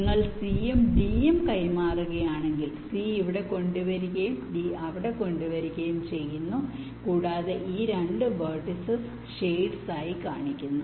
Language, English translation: Malayalam, if you exchange c and d, c is brought here and d is brought there, and this two vertices are shown, shaded